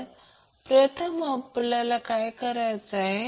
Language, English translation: Marathi, So first what we have to do